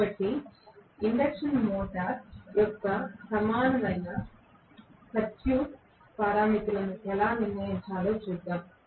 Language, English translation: Telugu, So, let us try to go and see how to determent the equivalent circuit parameters of the induction motor